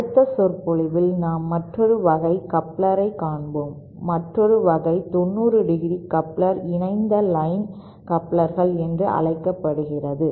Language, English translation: Tamil, In the next lecture we will cover another type of coupler, another type of 90¡ coupler called coupled line couplers